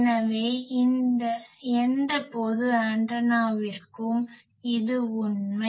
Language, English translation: Tamil, So, this is true for any general antenna